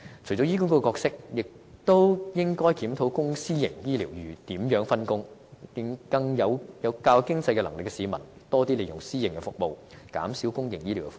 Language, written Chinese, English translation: Cantonese, 除了醫管局的角色外，其實亦應檢討公私營醫療服務如何分工，讓較有經濟能力的市民多利用私營服務，減輕公營醫療的負擔。, Apart from HAs roles in fact we should also review the division of scope in the public - private partnership arrangement distributing those people who are financially more capable to private health care thereby alleviating the burden of the public health care system